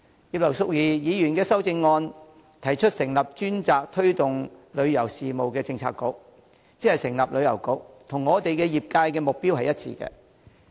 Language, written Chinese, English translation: Cantonese, 葉劉淑儀議員的修正案提出成立專責推動旅遊事務的政策局，即成立旅遊局，這與旅遊業界的目標一致。, Mrs Regina IPs amendment proposes setting up a Policy Bureau dedicated to promoting tourism that is setting up a Tourism Bureau . This is in line with the tourism sectors objective